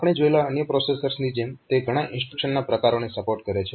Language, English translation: Gujarati, So, just like other processors that we have seen, it supports a good number of instruction types